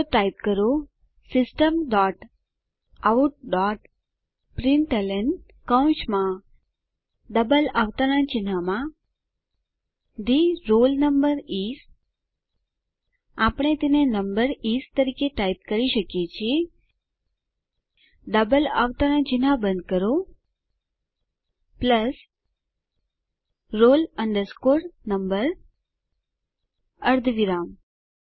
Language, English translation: Gujarati, So, type System dot out dot println within brackets and double quotes The roll number is we can type it as number is close the double quotes plus roll number semicolon